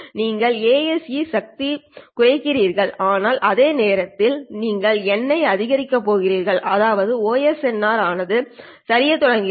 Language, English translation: Tamil, Reduce LA, you reduce the AC power, but at the same time you are going to increase N, which means that the OSNR starts to dip